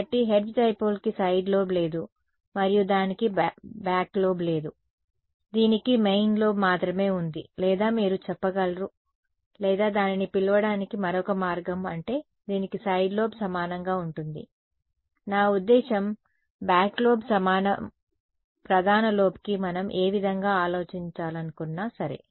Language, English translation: Telugu, So, the hertz dipole has no side lobe and it has no back lobe, it only has a main lobe or you can say I mean or another way of calling it is that, it has a side lobe equal, I mean a back lobe equal to the main lobe whichever way we want to think about it ok